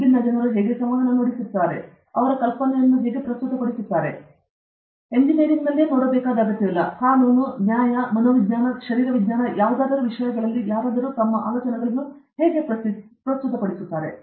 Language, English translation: Kannada, How different people communicate, present their idea; not necessarily in engineering; how somebody present his ideas in law, justice, psychology, physiology, whatever